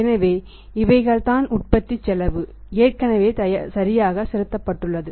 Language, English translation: Tamil, So, that is the cost of production has already paid right